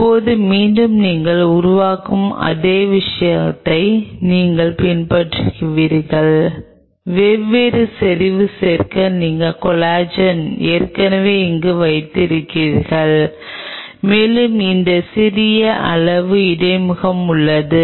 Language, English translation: Tamil, And now again you follow the same thing you create add different concentration you have the collagen already getting there and along with this small amount of buffer